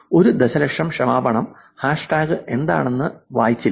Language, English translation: Malayalam, A million apologies, did not read what the hashtag was about